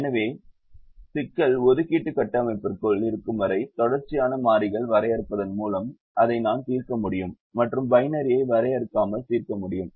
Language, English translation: Tamil, so as long as the problem is within the assignments structures, i can solve it by defining continuous variables and just solve it without defining the binary